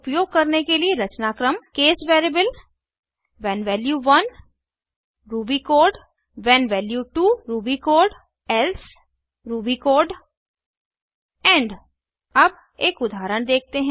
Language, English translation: Hindi, The syntax for using case is: case variable when value 1 ruby code when value 2 ruby code else ruby code end Let us look at an example